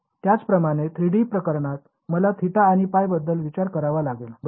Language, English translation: Marathi, Similarly in the 3 D case I have to think about theta and phi ok